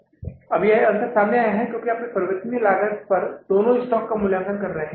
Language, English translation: Hindi, So, now this difference has come up because now you are valuing both the stocks